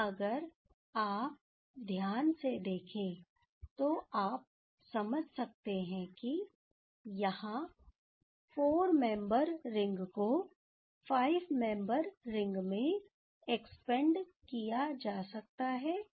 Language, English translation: Hindi, And if you see carefully, you can understand that here 4 membered ring can be expanded to 5 membered ring right so ok